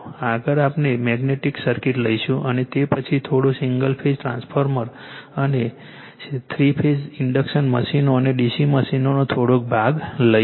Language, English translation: Gujarati, Next we will take the magnetic circuits and after that a little bit of single phase transformer and , little bit of three phase induction machines and d c machines so